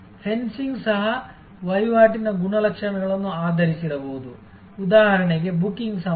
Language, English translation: Kannada, Fencing could be also based on transaction characteristics, for example time of booking